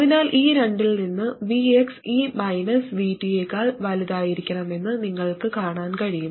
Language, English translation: Malayalam, So from these two you can see that VX has to be greater than minus VT